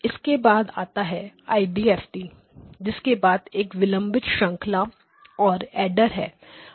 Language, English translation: Hindi, And after this comes the IDFT followed by the delay chain and the adder